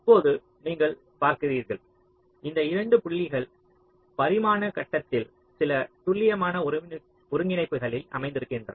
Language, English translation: Tamil, now you see, these points will be located on the two dimensional grid in some exact co ordinates so we can also define some weights